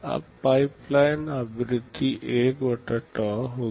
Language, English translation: Hindi, Now, the pipeline frequency will be 1 / tau